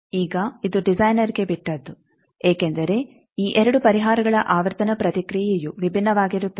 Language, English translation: Kannada, Now, it is up to the designer because frequency response of these 2 solutions will be different